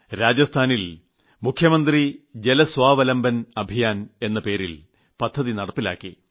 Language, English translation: Malayalam, Rajasthan has started the Chief Minister's Jal Swawalamban Abhiyan Water Self Sufficiency Campaign